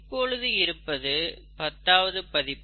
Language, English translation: Tamil, Now we are in the tenth edition